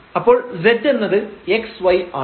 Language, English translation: Malayalam, So, z is a function of x and y